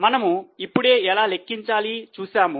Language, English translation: Telugu, So, we have just seen how to calculate it